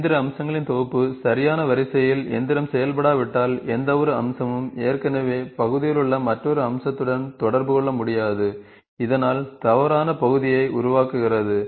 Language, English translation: Tamil, If the set of machining features is not machined in the correct sequence, no feature can interact with another feature already in the part, thus generating an incorrect part